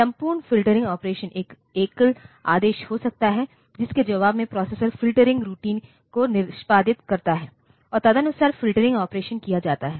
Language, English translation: Hindi, So, there this we entire filtering operation may be a single comment in the response to which the processor executes the filtering routine and accordingly the filtering operation is done